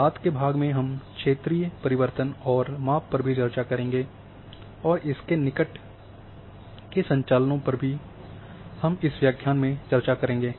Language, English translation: Hindi, In in later part we will also discuss regional transformation and measurement in this lecture and also neighbourhood operations we will be discussing in this lecture